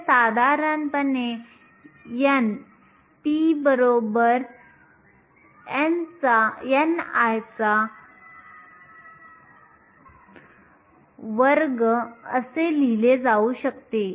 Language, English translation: Marathi, This generally can be written as n p equal to n i square